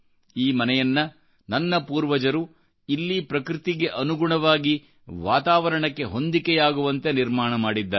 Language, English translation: Kannada, These houses were built by our ancestors in sync with nature and surroundings of this place"